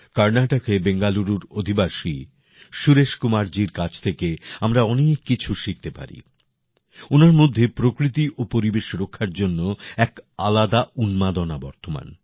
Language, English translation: Bengali, We can also learn a lot from Suresh Kumar ji, who lives in Bangaluru, Karnataka, he has a great passion for protecting nature and environment